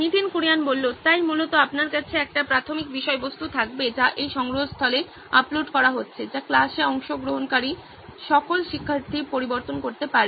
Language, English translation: Bengali, So basically you will have an initial content that is being uploaded into this repository which can be edited by all the students participating in the class